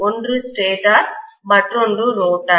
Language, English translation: Tamil, One is a stator, the other one is a rotor